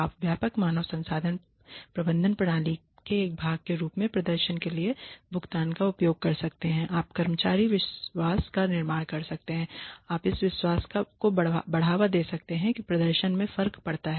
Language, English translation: Hindi, You could use pay for performance as a part of broader human resource management system, you could build employee trust you could promote the belief that performance makes a difference